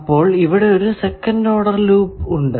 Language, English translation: Malayalam, Then, there is second order loop